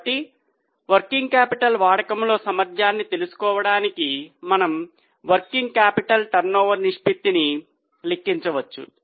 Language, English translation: Telugu, So, to know the efficiency in use of working capital, we can calculate working capital turnover ratio